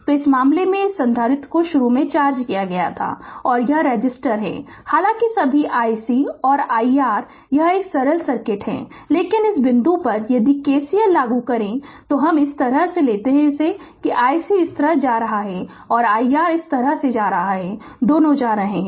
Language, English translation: Hindi, So, in this case this, this capacitor was initially charged and resistor is there; all though i C and i R it is a it is a simple circuit, but at this point if you apply KCL, I if you take like this that i C is going this way and i R is going this way both are leaving